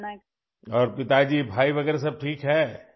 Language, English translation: Urdu, Yes, and are father, brother and others all fine